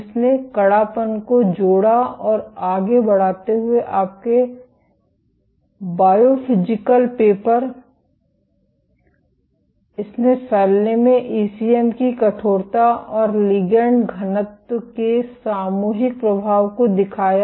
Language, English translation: Hindi, Which linked stiffness and spreading your Biophysical paper, it showed the collective influence of ECM stiffness and ligand density on spreading